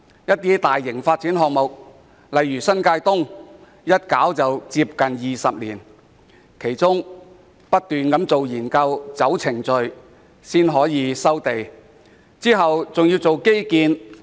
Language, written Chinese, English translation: Cantonese, 一些大型發展項目，例如新界東北發展項目更歷時接近20年，其間不斷進行研究、履行程序，才得以步入收地階段。, Some large - scale development projects such as the North East New Territories development project have taken nearly 20 years to complete during which studies and procedures have been constantly carried out before reaching the land resumption stage